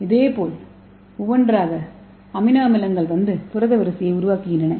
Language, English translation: Tamil, so similarly one by one amino acids will come and join and form the protein